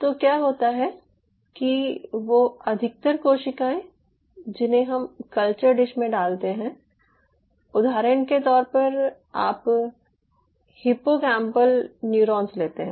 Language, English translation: Hindi, and what happens is that most of these cells which we put on the culture dish say, for example, you take out these hippocampal neurons